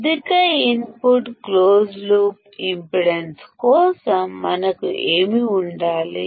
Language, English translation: Telugu, That for high input closed loop impedance, what should we have